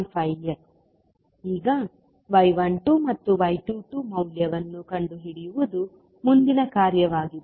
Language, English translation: Kannada, Now, next task is to find out the value of y 12 and y 22